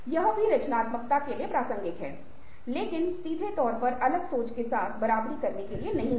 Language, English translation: Hindi, that also is relevant for ah creativity, but is not directly to the be equated with divergent thinking